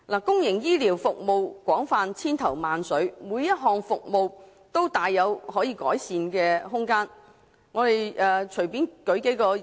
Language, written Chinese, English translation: Cantonese, 公營醫療服務廣泛，種類繁多，每項服務都大有改善空間。, Many types of public health care services are widely available; and each and every one of them has much room for improvement